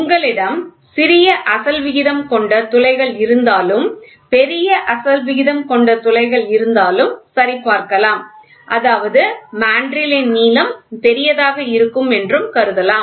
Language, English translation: Tamil, This can check for small aspect ratio holes if you have a large aspect ratio holes; that means, to say the length of the of the mandrill will be larger